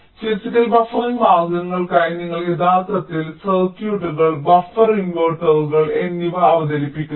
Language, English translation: Malayalam, so for physical buffering means you are actually introducing the circuits, the buffer, the inverters